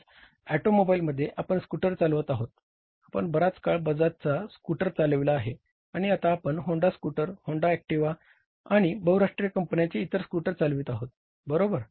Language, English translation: Marathi, We were driving a Bajar scooter long back and now we are driving the Honda scooter, Honda Activa or the other scooters of the multinational companies